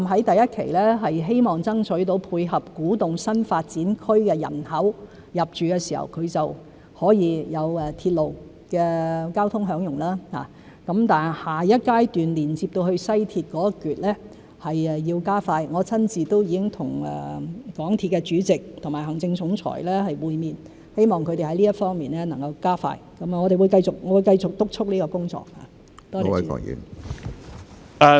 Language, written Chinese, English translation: Cantonese, 第一期的古洞站，希望爭取到配合古洞新發展區的人口在入住時可以享用鐵路交通；但下一階段連接到西鐵的一段要加快，我已親自和港鐵公司主席和行政總裁會面，希望他們能在這方面加快，我會繼續督促這項工作。, As for Kwu Tung Station in Phase 1 we will strive to tie in with the population intake in the Kwu Tung new development area so that the residents can enjoy the railway services upon moving in there . But the section connecting the West Rail in the next phase has to be expedited . I have personally met with the Chairman and Chief Executive Officer of MTRCL hoping that they can speed up in this regard